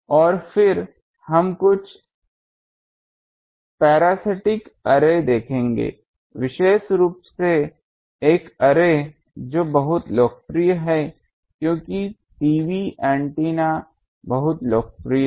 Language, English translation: Hindi, And then we will see some parasitic array particularly one array, which is very popular as the TV antenna was very popular